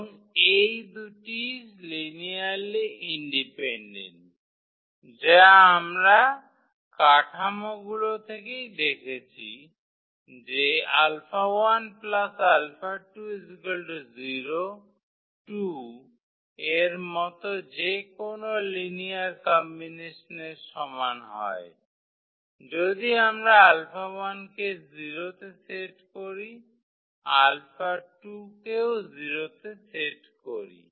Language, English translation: Bengali, And these two are also linearly independent which we can see from the structure itself, any linear combination like alpha 1 plus alpha 2 is equal to if we set to 0 the alpha 1 alpha 2 has to be 0